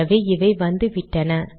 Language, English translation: Tamil, So these have come